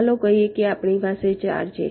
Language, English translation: Gujarati, let say we have, there are four